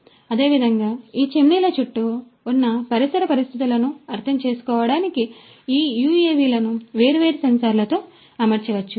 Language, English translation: Telugu, So, likewise these UAVs could be fitted with different sensors to understand the ambient conditions around these chimneys